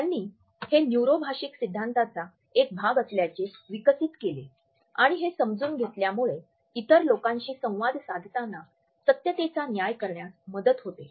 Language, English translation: Marathi, They developed it is a part of their neuro linguistic theories and this understanding helps us to judge the truthfulness in our interaction with other people